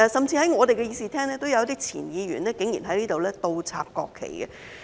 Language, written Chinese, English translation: Cantonese, 在我們議事廳裏，也曾有位前議員竟然倒插國旗。, In our Chamber it also happened once that a former Member went so far as to flip the national flags upside down